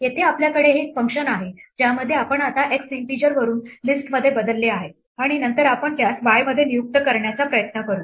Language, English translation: Marathi, Here we have this function in which we now changed x from an integer to a list and then we try to assign it in y